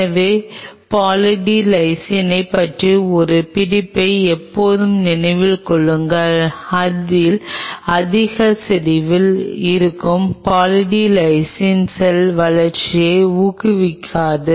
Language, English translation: Tamil, So, always remember one catch about Poly D Lysine is that Poly D Lysine at a higher concentration does not promote cell growth